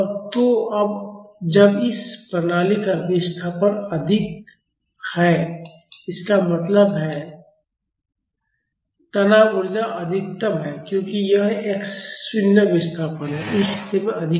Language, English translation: Hindi, So, now, when the displacement of this system is maximum; that means, the strain energy is maximum because this x not is the displacement is maximum at this position